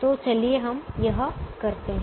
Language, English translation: Hindi, so let us do this